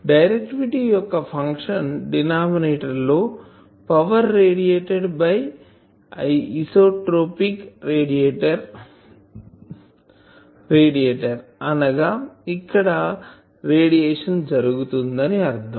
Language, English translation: Telugu, That means, in the denominator of directivity function basically we say that power radiated by an isotropic radiator; that means, this radiation is taking place here